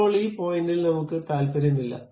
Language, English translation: Malayalam, Now, I am not interested about this point